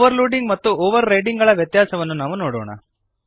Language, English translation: Kannada, Let us see the difference of overloading and overriding